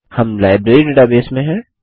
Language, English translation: Hindi, We are in the Library database